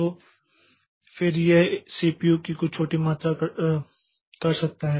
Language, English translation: Hindi, Then again it will come back maybe doing some small amount of CPU